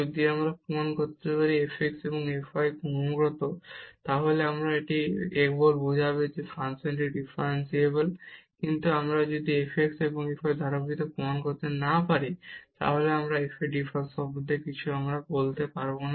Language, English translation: Bengali, If we can prove that f x and f y are continuous, that will simply imply that the function is differentiable, but if we if we cannot prove the continuity of f x and f y, we cannot conclude anything about the differentiability of f